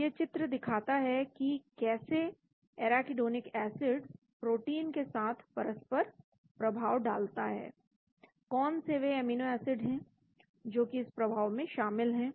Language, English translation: Hindi, So this picture shows how the arachidonic acid is interacting with the protein what are they amino acids that are involved which interacts